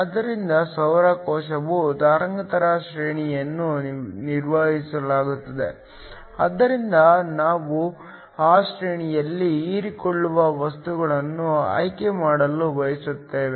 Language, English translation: Kannada, So, Solar cell the wavelength range is fixed, so we want to choose materials which absorb in that range